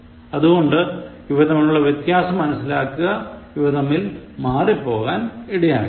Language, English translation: Malayalam, So, understand this difference, do not confuse between these two